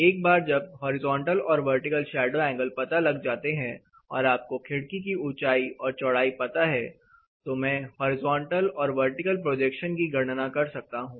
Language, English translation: Hindi, Once side determine what is a horizontal and what is a vertical shadow angle, as I said I know the window height and width with that I can calculate the projection which is required horizontally as well as vertically